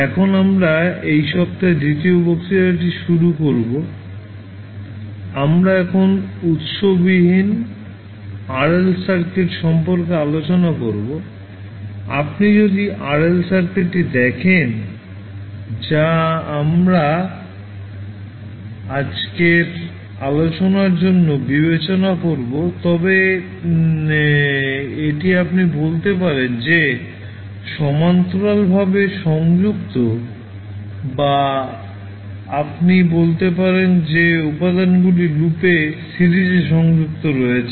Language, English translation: Bengali, So now, let us starts the second lecture of this week we will discuss about the source free RL circuit now, if you see the RL circuit which we will consider for today’s discussion is RL circuit you can say that L is connected in parallel or you can say that the elements are connected in series in a loop